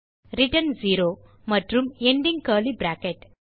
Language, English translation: Tamil, return 0 and ending curly bracket